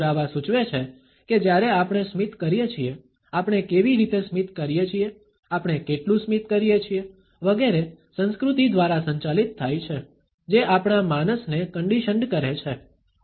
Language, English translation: Gujarati, Evidence suggest that when we do a smile, how we do a smile, how much we do a smile, etcetera is governed by the culture, which has conditioned our psyche